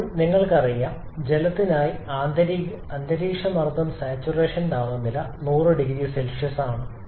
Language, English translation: Malayalam, Now you know that the for water the atmospheric corresponding atmospheric pressure the saturation temperature is 100 degree Celsius